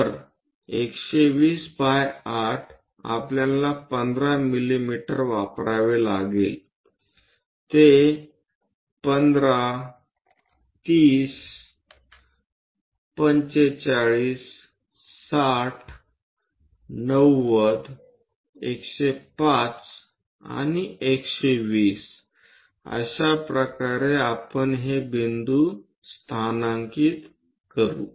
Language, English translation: Marathi, So, 120 by 8 we have to use 15 mm locate it 1, 30, 45, 60, 90, 105 and 12 this is the way we locate these points